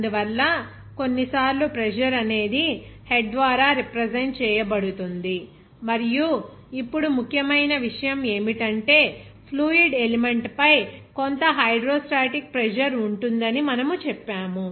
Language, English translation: Telugu, So, that is why sometimes the pressure is represented by head and now important thing is that what we told that there will be some hydrostatic pressure on the fluid element